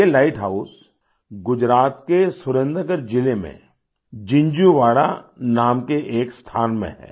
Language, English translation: Hindi, This light house is at a place called Jinjhuwada in Surendra Nagar district of Gujarat